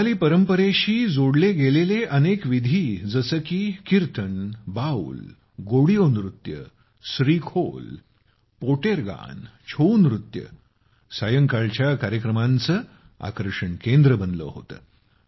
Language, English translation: Marathi, Various genres related to Bengali traditions such as Kirtan, Baul, Godiyo Nritto, SreeKhol, Poter Gaan, ChouNach, became the center of attraction in the evening programmes